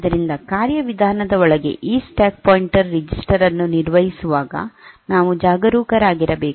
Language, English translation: Kannada, So, we have to be careful while manipulating this stack pointer register inside procedure